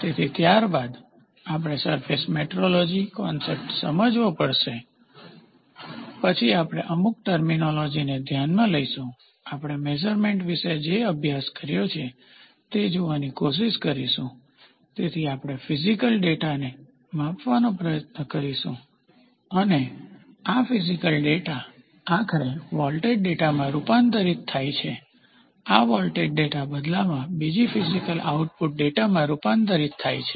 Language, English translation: Gujarati, So, the content we will have introduction, then, we will have to understand surface metrology concepts then, we will look into certain terminologies then, we will try to see like we studied about measurement, so we have we will try to measure a physical data and this physical data finally gets converted into a voltage data, this voltage data in turn gets converted into another physical output data